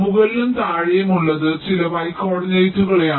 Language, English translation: Malayalam, top of e and bottom of e, they refer to some y coordinates